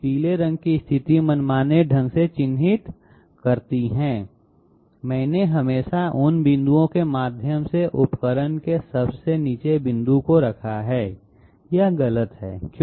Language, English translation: Hindi, The yellow position marks arbitrarily I have put always the bottom most point of the tool through these points, this is wrong, why